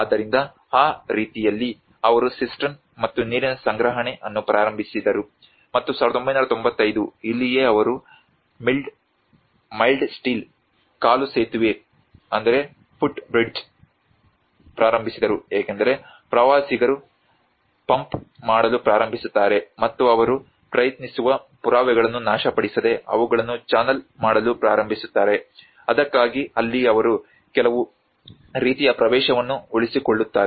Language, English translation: Kannada, \ \ So, in that way they started the cistern as well as the water storage and 1995, this is where they started about a mild steel footbridge because the tourists start pumping down and in order to channel them without destroying the evidence that is where they try to keep some kind of access